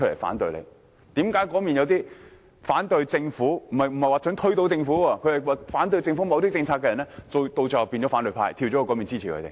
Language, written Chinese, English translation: Cantonese, 為何有些反對政府——我並非指推倒政府——某些政策的人最終加入反對派，支持坐在另一邊的議員？, Why do some people who initially opposed certain government policies―I do not mean those who intended to topple the Government―eventually join the opposition camp and support Members sitting on the other side of the Chamber?